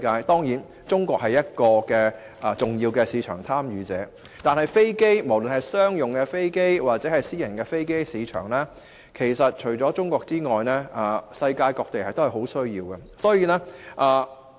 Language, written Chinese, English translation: Cantonese, 當然，中國是個重要市場，但無論是商用飛機或私人飛機的市場，除中國外，世界各地都有很大的需要。, Of course China is also a very important market but in respect of both commercial aircrafts and private aircrafts markets not only China but all places in the world have great demand